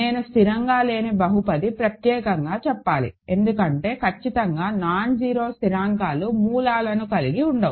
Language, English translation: Telugu, I need to insist on non constant polynomial because certainly nonzero constants cannot have roots